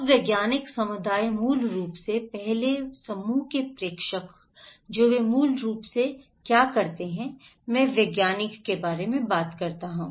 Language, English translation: Hindi, Now, the scientific community basically, the first group the senders of the informations what do they do basically, I am talking about the scientist